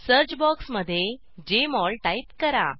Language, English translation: Marathi, Type Jmol in the search box